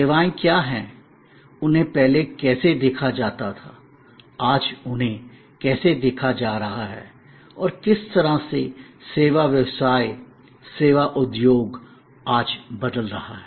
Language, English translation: Hindi, What are services, how they were perceived earlier, how they are being perceived today and in what way service business, service industry is transforming today